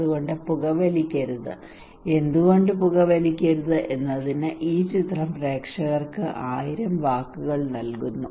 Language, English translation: Malayalam, So do not smoke and this picture gives thousand words to the audience that why they should not smoke